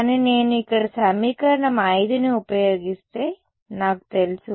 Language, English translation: Telugu, 2 m, but I know that if I use equation 5 over here